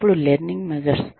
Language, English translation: Telugu, Then, the learning measures